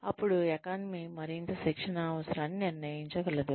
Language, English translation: Telugu, Then, the economy could determine, the need for more training